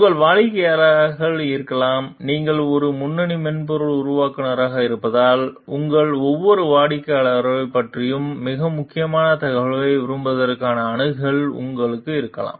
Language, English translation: Tamil, And your clients maybe and, because you are a lead software developer you may have access to the like very important information about each of your clients